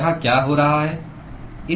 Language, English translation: Hindi, What is happening here